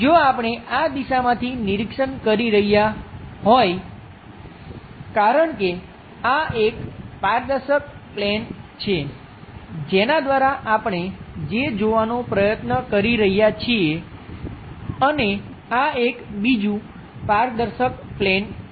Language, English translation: Gujarati, If we are observing from this direction because this is also transparent plane through which what we are trying to look at and this one also another transparent plane